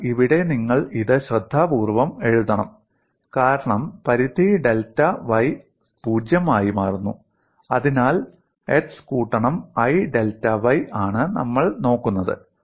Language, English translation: Malayalam, So here you have to carefully write this as limit delta y tends to 0, so that means x plus i delta y is what we are looking at and x is 0 here